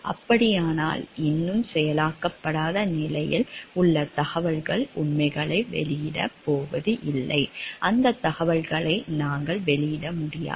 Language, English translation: Tamil, Then the information which is still in an very unprocessed way on it is not about to released facts we cannot disclose those informations